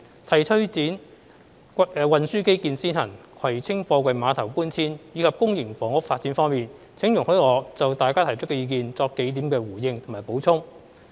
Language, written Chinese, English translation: Cantonese, 就推展運輸基建先行、葵青貨櫃碼頭搬遷及公營房屋發展方面，請容許我就大家提出的意見作數點回應及補充。, Regarding the proposals of according priority to transport infrastructure relocating the Kwai Tsing Container Terminals and developing public housing please allow me to respond and supplement a few points in respect of the views expressed by Members